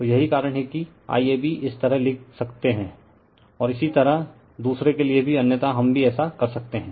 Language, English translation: Hindi, So, that is why IAB you can write like this, similarly for the other otherwise also we can do this